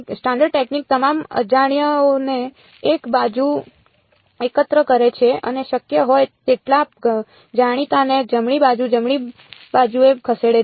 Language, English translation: Gujarati, Standard technique gather all the unknowns on one side move as many knowns as possible to the right hand side right